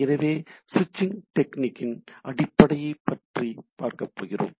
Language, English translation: Tamil, So, what sort of switching techniques are there